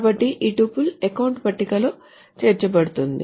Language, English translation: Telugu, So this tuple gets inserted into the account table